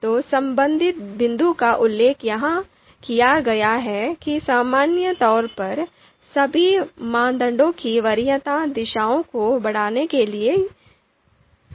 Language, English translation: Hindi, So the related point is mentioned here that the preference directions of all criteria are taken to be increasing, right